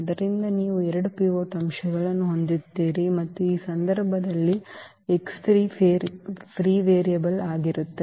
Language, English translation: Kannada, So, you will have 2 pivot elements and this x 3 will be the free variable in this case